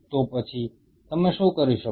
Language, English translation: Gujarati, So, then what you can do